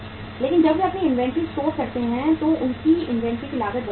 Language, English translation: Hindi, But when they store their inventory their inventory cost goes up